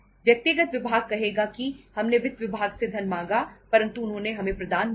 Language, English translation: Hindi, Personal department will say we asked for the funds from the finance but they have not provided